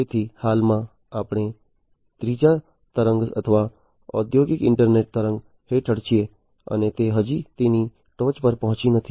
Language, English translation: Gujarati, So, currently we are under the third wave or the industrial internet wave and it has not yet reached its peak